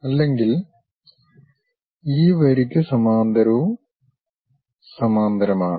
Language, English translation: Malayalam, Otherwise, parallel to this line this line also parallel